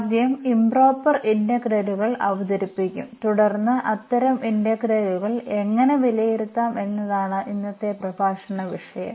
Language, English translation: Malayalam, So, we will introduce first the improper integrals and then how to evaluate such integrals that will be the topic of today’s lecture